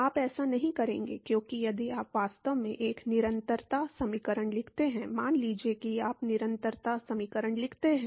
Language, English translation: Hindi, you will not because if you actually write a continuity equation supposing, you say write continuity equation